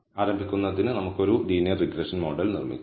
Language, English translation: Malayalam, So, to start with let us build a linear regression model